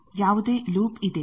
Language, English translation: Kannada, Is there any loop